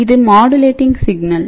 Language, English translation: Tamil, So, this is the modulating signal